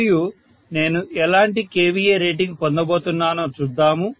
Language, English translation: Telugu, So I am going to have the kVA rating to be 2